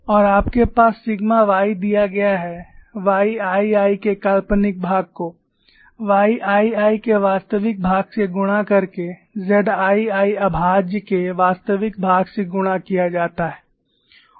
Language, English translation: Hindi, And you have sigma y is given as, imaginary part of y 2 minus y multiplied by real part of y 2 prime plus real part of z 2 prime